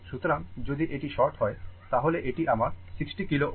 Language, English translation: Bengali, So, if this is sort, then this is my 60 kilo ohm and this is my 6 kilo ohm right